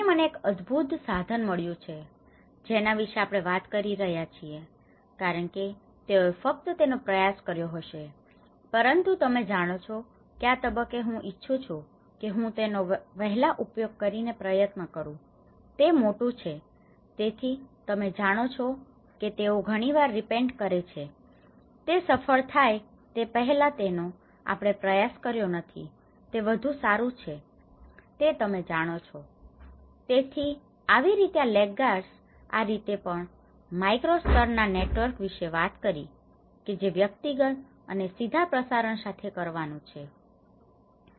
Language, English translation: Gujarati, Here, we are talking about I found this really awesome tool because they will just tried it but then you know at this stage I wish I do try it using this earlier, it is great so you know, they sometimes repent, better we have not tried it before it has been a successful you know, so like that these laggards, this is how there is also we talked about the micro level network which has to do with the personal and direct diffusions